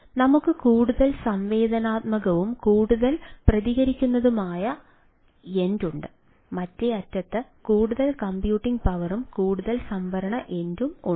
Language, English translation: Malayalam, so we have more interactive and more responsive end to more computing power and more storage end at the other end